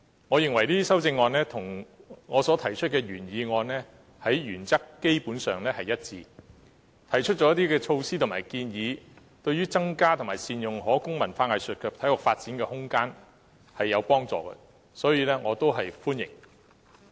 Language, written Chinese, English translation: Cantonese, 我認為這些修正案與我所提出的原議案基本上原則一致，亦提出了措施及建議，對於增加及善用可供文化藝術及體育發展的空間，是有幫助的，所以我表示歡迎。, I think these amendments are basically consistent with the principle of my original motion and they have also put forth measures and proposals which are helpful to increasing and optimizing the use of space for cultural arts and sports development . Therefore I welcome these amendments